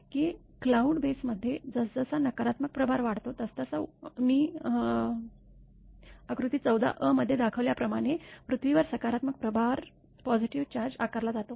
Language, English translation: Marathi, That as a negative charge builds up in the cloud base a corresponding positive charge is induced on the earth as shown in figure 14 a